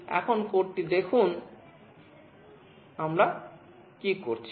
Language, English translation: Bengali, Now let us see the code, what we are doing